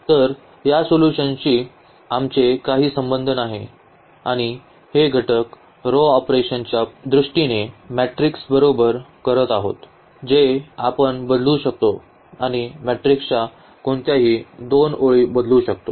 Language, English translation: Marathi, So, it has nothing to do with the solution and that exactly in terms of the element row operations we will be doing with the matrix that we can change we can interchange any two rows of the matrix